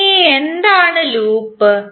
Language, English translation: Malayalam, Now what is loop